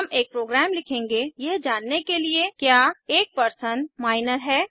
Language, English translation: Hindi, We will write a program to identify whether a person is Minor